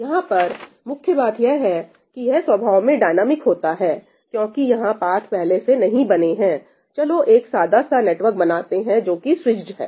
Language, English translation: Hindi, The point here is that this is dynamic in nature because the paths are not established up front, let us draw a simple network which is switched